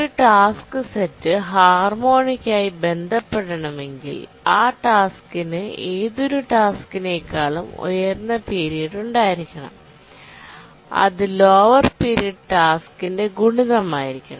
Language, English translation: Malayalam, We say that a task set is harmonically related if given that any task has higher period than another task, then it must be a multiple of the lower period task